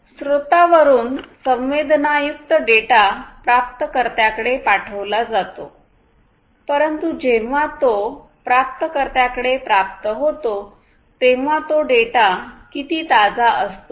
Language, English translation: Marathi, So, from the source till the receiver the data that is sensed is sent at the receiver it is received, but then when it is received at the receiver how much fresh that data is